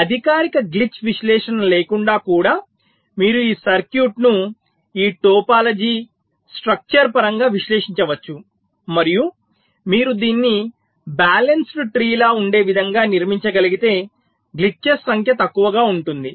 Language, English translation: Telugu, so even without a formal glitch analysis, you can analyze this circuit in terms of this topology, the structure, and you can say that if we can structure it in a way where it is like a balance tree, glitches will be less in number